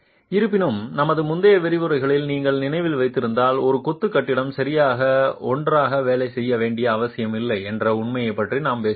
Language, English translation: Tamil, However, if you remember in our earlier lectures, we have talked about the fact that a masonry building may not necessarily work together